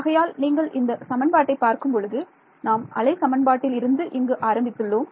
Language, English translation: Tamil, So, if you look at this equation over here we started with this wave equation over here